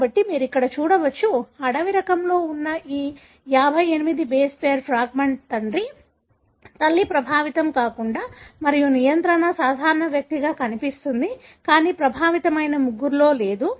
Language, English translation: Telugu, So, you can see here, this 58 base pair fragment which is present in the wild type, was seen father, mother unaffected and a control, normal individual, but absent in the three affected